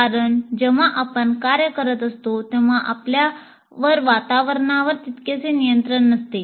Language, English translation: Marathi, Because when we are working, we may not have that much control over the environment